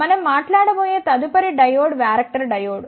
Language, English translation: Telugu, The next diode that we will talk about is the varactor diode